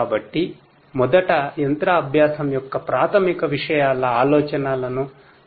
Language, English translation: Telugu, So, let us first try to gets the ideas of the basics of machine learning